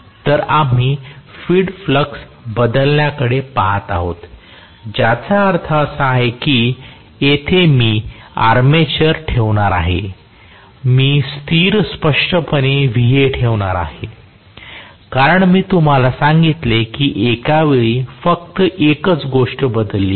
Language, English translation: Marathi, So we are looking at field flux changing which means I am going to have here the armature I am going to keep very clearly Va as a constant because I told you only one thing is changed at a time